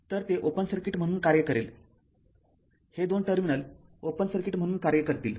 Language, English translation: Marathi, So, it will act as a it will act as open circuit this two terminal will act as open circuit